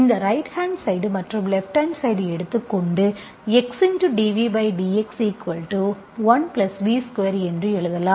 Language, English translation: Tamil, So this implies, now you take this left hand side and right hand side, you can write that write dV by dx equal to 1 + V square